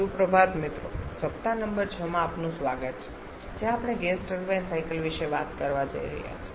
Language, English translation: Gujarati, Good morning friends welcome to week number 6 where we are going to talk about the gas turbine cycles